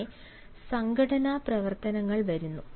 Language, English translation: Malayalam, then comes the organizational activities